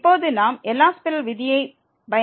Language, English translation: Tamil, And now we can apply the L’Hospital rule